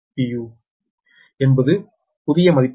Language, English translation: Tamil, this is the new values